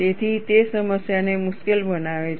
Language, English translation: Gujarati, So, that makes the problem difficult